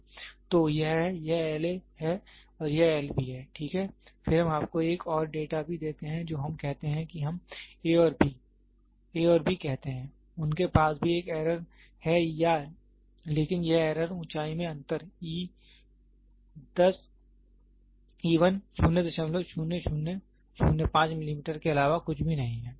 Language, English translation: Hindi, So, this is this is L A and this is L B, ok, then we also give you one more data what we say is we say A and B, A and B, they also have an error or this error is nothing but difference in height e 1 of 0